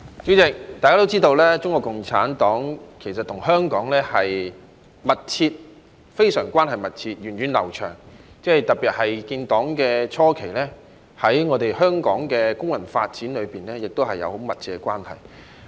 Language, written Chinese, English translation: Cantonese, 主席，大家都知道，中國共產黨跟香港的關係非常密切，源遠流長，特別是在建黨初期，更與香港的工運發展有很密切的關係。, President CPC is known to have a very close and long - standing relationship with Hong Kong . In particular CPC had a close tie with Hong Kongs labour movement in its early years